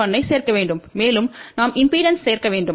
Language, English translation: Tamil, 1 and we have to add in impedance